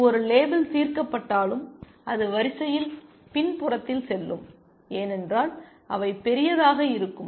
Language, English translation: Tamil, Even if this one will gets label solved, it will go at the rear of the queue because those will have plus large